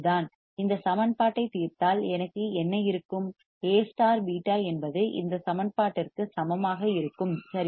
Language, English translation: Tamil, And solving this equation what will I have A beta equals to this equation right